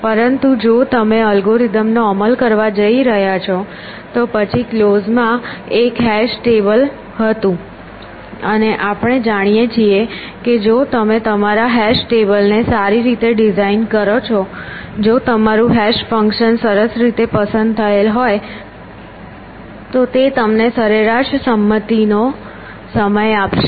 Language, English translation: Gujarati, But if you are going to implement the algorithm then close was be a hash table, and we know that on the average if you design your hash table well if your hash function in nicely chosen